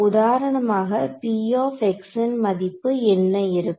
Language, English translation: Tamil, So, for example, what will be the value of p x